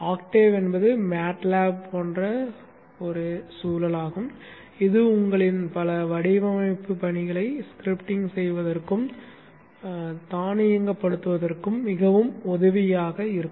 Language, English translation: Tamil, Octave is a MATLAB like environment which is very helpful in scripting and automating many of your design tasks